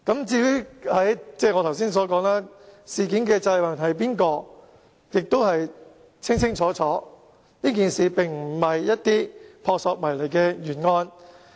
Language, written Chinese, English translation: Cantonese, 正如我剛才所說，應要為事件負責的人是誰亦已經很清楚，這事件並非撲朔迷離的懸案。, As I said just now it is quite clear who should be held responsible and it is simply not a mysterious case at all